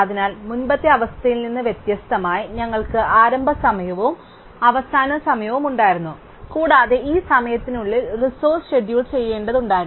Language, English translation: Malayalam, So, now unlike the earlier situation where we had a start time and a finish time and the resource had to be scheduled within this time